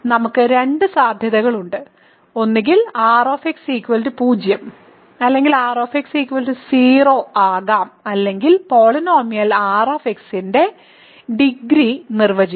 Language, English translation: Malayalam, We have two possibilities either r is 0 or r can be 0 or we can define the degree of r if it is not the 0 polynomial